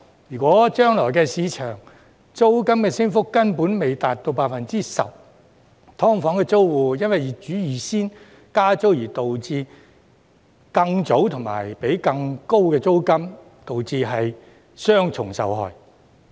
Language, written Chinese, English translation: Cantonese, 如果將來的市場租金升幅根本未達到 10%，" 劏房"租戶因為業主預先加租而導致更早和要支付更高的租金，導致雙重受害。, If the market rent increase does not reach 10 % in the future SDU tenants will already have paid higher rent earlier because the landlords have increased rent in advance thus making the tenants suffer on both fronts